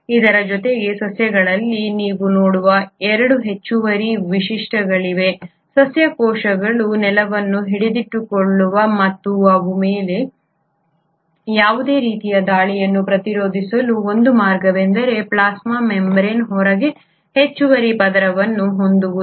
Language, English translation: Kannada, In addition to that there are 2 additional features which you see in plants, one way by which the plant cells kind of hold on to the ground and resist any kind of attack on them is by having an extra layer outside the plasma membrane which is called as the cell wall